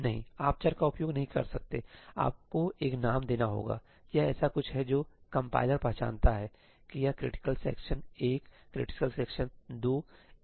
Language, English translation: Hindi, No, you cannot use variables, you have to give a name; it is something that the compiler recognizes that this is critical section 1, critical section 2